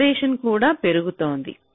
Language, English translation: Telugu, ok, the separation is also increasing